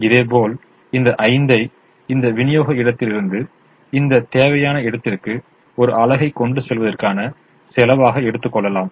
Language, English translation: Tamil, similarly, this, this five can be taken as the cost of transporting one unit from this supply point to this demand point